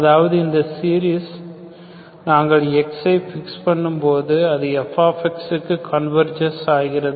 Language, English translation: Tamil, That means the series, you fix x, the convergences to corresponding fx, okay